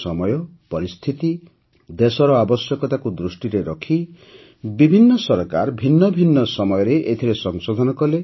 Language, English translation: Odia, In consonance with the times, circumstances and requirements of the country, various Governments carried out Amendments at different times